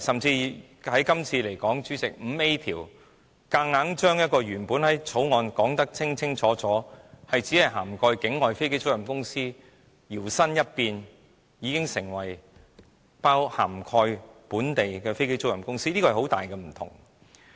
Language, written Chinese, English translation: Cantonese, 以今次而言，主席，加入第 5A 條，把《條例草案》的範圍，由原本只涵蓋境外飛機租賃公司，強行變成涵蓋本地的飛機租賃公司，這是很大的分別。, Chairman the addition of clause 5A this time which forces the coverage of the Bill to expand from offshore aircraft leasing companies to onshore aircraft leasing companies makes a huge difference to the Bill . When the provisions cover local companies our situation will be different from that of Ireland or Singapore